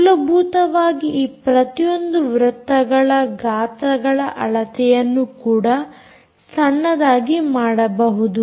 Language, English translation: Kannada, basically, the the dimension of the size of each of these circles can also be made very small